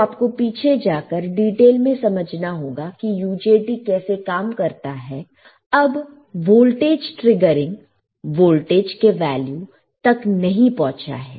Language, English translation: Hindi, So, go back and see in detail how the UJT works now the voltage is not the yet reached the triggering voltage